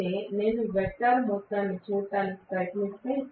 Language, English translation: Telugu, Whereas, if I try to look at the vectorial sum